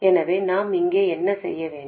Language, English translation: Tamil, So, what do we need to do here